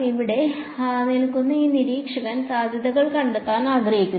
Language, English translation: Malayalam, This observer standing over here wants to find out the potential